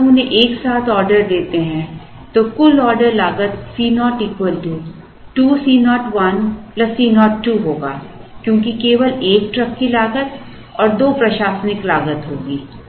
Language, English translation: Hindi, Now, when we order them together the total order cost C naught will be 2 times C 0 1 plus C 0 2 because there is going to be only one truck cost, there will be two administrative costs